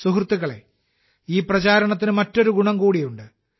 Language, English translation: Malayalam, Friends, this campaign shall benefit us in another way